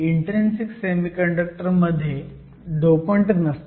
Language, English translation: Marathi, In an intrinsic semiconductor, we have essentially no dopants